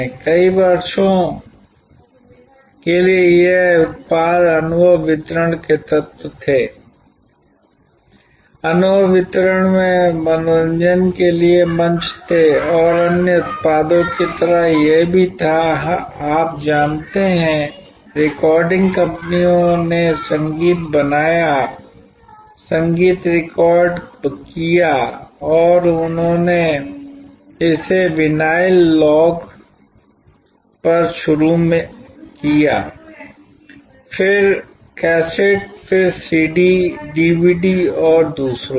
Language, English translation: Hindi, For, many years these products were elements of experience delivery, were platforms for entertainment in experience delivery and like other products it had a, you know the recording companies created the music, recorded the music and then they delivered it on maybe initially on vinyl long playing or short playing records, then cassettes, then CD's, DVD's and so on